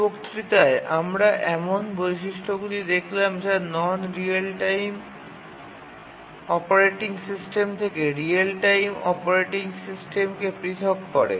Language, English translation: Bengali, So far in this lecture we looked at what are the features that set apart a real time operating system from a non real time operating system